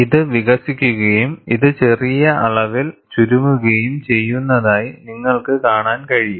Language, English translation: Malayalam, You could see that this expands and this shrinks by a small amount